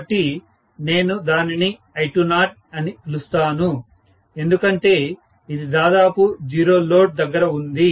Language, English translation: Telugu, So, I am calling that as I20 because it is at almost 0 load